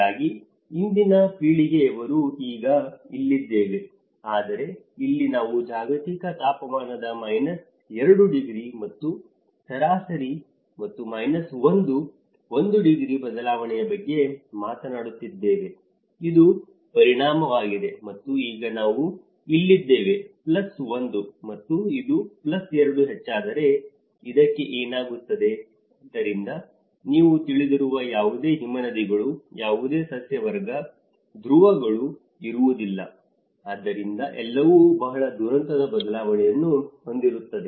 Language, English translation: Kannada, So in that way today's generation we are right now here, but here we are talking about minus 2 degrees of a global temperature and an average and minus 1, 1 degree change, this is the impact and now we are here let us say if increases plus 1, what happens to this and if it is plus 2, what is the; so there will be no glaciers, no vegetation, no poles you know so everything will have a very cataclysmic change